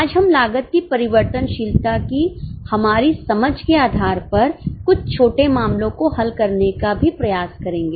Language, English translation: Hindi, Today also we will try to solve some small cases based on our understanding of variability of costs